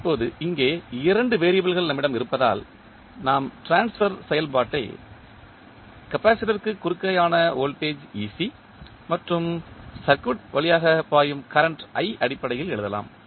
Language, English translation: Tamil, Now, since we have here 2 variables, so, we will, we can write the transfer function in terms of ec that is the voltage across capacitor and i that is current flowing through the circuit